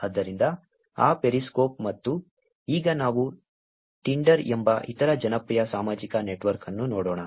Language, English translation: Kannada, So, that periscope and now let us look at other popular social network which is Tinder